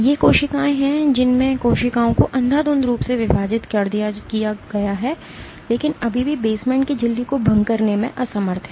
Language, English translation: Hindi, These are cells in which the cells have divided indiscriminately, but are still unable to breach the basement membrane